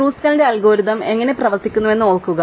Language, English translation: Malayalam, So, recall how Kruskal's algorithm works